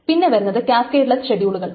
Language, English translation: Malayalam, That is the effect of this cascadless schedules